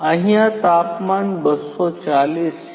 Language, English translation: Gujarati, The temperature here is 240